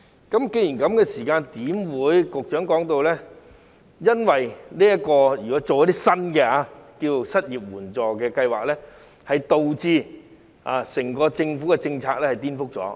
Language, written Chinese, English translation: Cantonese, 既然如此，為何局長說推行一些新的失業援助計劃會顛覆政府的整體政策？, As such why did the Secretary say that the introduction of a new unemployment assistance scheme would subvert the overall government policy?